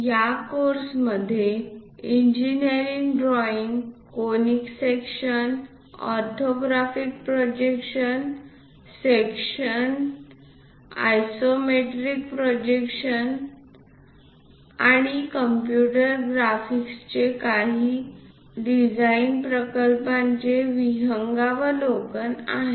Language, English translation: Marathi, The course contains basically contains engineering drawings, conic sections, orthographic projections, sections isometric projections and overview of computer graphics and few design projects